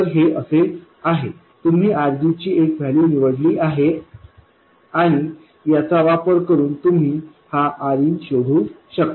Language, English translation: Marathi, You would have chosen some value of RG and based on that you can find this RN